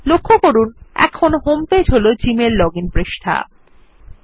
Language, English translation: Bengali, You will notice that the Gmail login page is the homepage